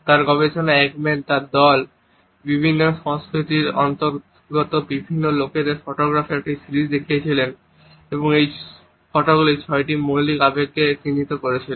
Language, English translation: Bengali, In his studies Ekman and his team, had showed a series of photographs to various people who belong to different cultures and these photos depicted six basic emotions